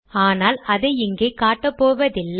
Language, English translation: Tamil, But we will not demonstrate it here